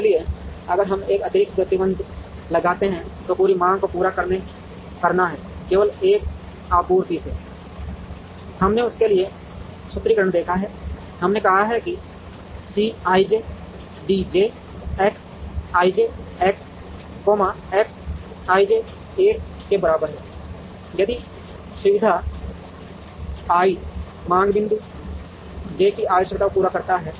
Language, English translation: Hindi, So, if we put an additional restriction that, the entire demand is to be met, only from 1 supply, we have seen the formulation for that, we have said C i j D j X i j, X i j equal to 1, if facility I meets the requirement of demand point j